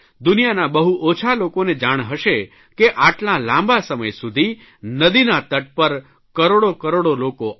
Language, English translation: Gujarati, Very few know that since a long time, crores and crores of people have gathered on the riverbanks for this festival